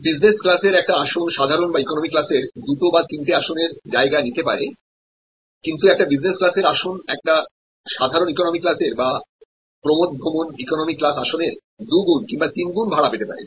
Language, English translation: Bengali, So, the business seats may take this space of two or three economy seats, but the business seats can fetch double or triple the revenue compare to an economy seat or an excursion economy seat